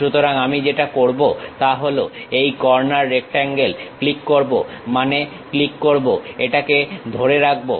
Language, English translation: Bengali, So, what I will do is click corner rectangle, then click means click, hold it